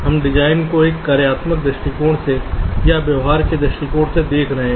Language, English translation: Hindi, we are looking at the design from either a functional point of view or from a behavioural point of view